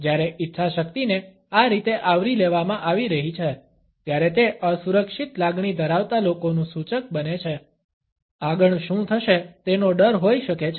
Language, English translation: Gujarati, When the willpower is being covered up like this, it can be an indicator with the persons feeling insecure, there may be afraid of what is happening next